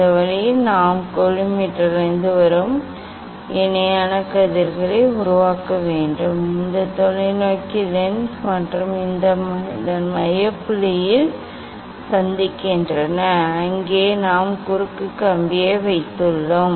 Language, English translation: Tamil, this way we this way we have to make the parallel rays coming from the collimator and here this parallel rays, entering into this telescope lens and they are meeting at the focal point of this one and there we have put the cross wire